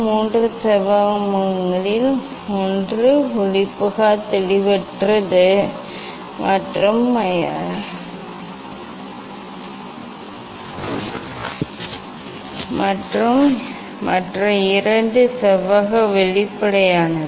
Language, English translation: Tamil, out of three rectangular faces, one is opaque nontransparent and other two rectangular are transparent